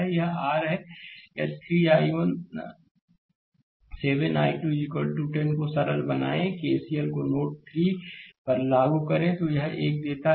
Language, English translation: Hindi, So, this is your if you simplify 3 i 1 7 i 2 is equal to 10 apply KCL to node o in figure 3 gives this one